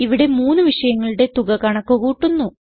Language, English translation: Malayalam, Here we calculate the total of three subjects